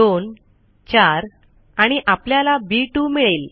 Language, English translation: Marathi, I can type in 2,4 and I get b 2